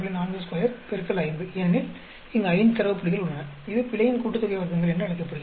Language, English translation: Tamil, 4 square into 5; because there are 5 data points here, that is called the error sum of squares